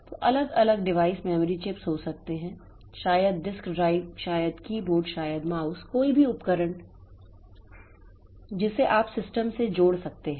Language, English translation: Hindi, So, individual devices can be memory chips, maybe disk drives, maybe keyboard, may be mouse, any device that you can attach to the system